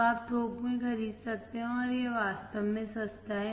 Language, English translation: Hindi, So, you can buy in bulk and this is really cheap